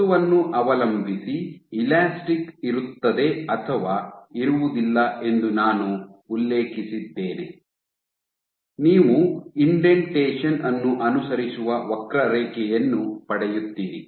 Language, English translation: Kannada, And I had mentioned that in these depending of your material is elastic you get a curve which follows the indentation